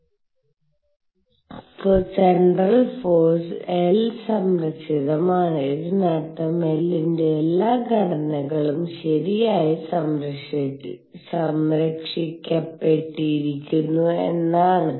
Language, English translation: Malayalam, The force is central L is conserved and this means all components of L are conserved alright